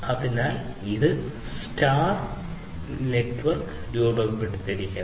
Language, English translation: Malayalam, So, this forms something known as the scatter net, ok